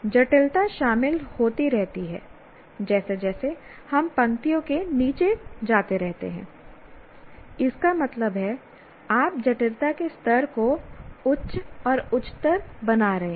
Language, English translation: Hindi, As you keep going down the rows, that means you are making the level of complexity higher and higher